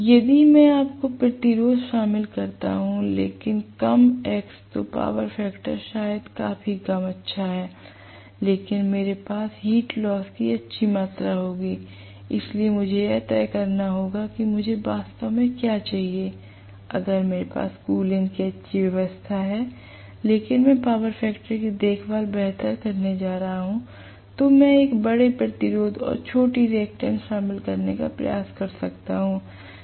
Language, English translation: Hindi, If I include more resistance but less x then the power factor maybe fairly good, but I will have a good amount of heat loses, so I have to decide what really I want, if I have a good cooling arrangement but I am going to take care of the power factor much better then I might try to include a larger resistance and smaller reactance